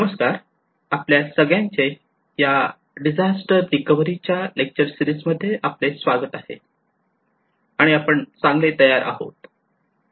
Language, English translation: Marathi, Hello everyone, welcome to the lecture series on disaster recovery and build back better